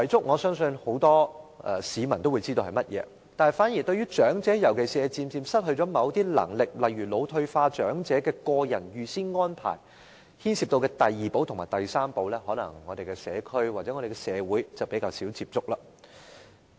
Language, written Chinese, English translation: Cantonese, 我相信很多市民也知道遺囑是甚麼，反而是有關長者，尤其是漸漸失去某些能力，例如腦退化長者的個人預先安排所牽涉的第二寶和第三寶，可能我們的社區或社會則較少接觸。, I believe many people know what a will is . On the contrary our community or society may less often come across the second and the third keys concerning the advance arrangements made individually by the elderly especially elders who are gradually losing certain abilities such as those suffering from dementia